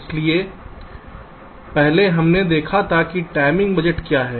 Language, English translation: Hindi, so earlier we had seed what a timing budget is